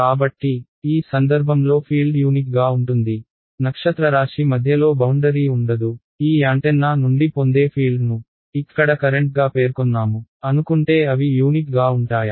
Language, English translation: Telugu, So, in this case will the fields be unique there is no boundary anywhere it is in middle of interstellar space; will the fields that you get from this antenna supposing I have specified the current over here will they be unique